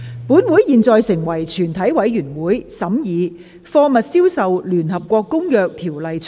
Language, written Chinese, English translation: Cantonese, 本會現在成為全體委員會，審議《貨物銷售條例草案》。, This Council now becomes committee of the whole Council to consider the Sale of Goods Bill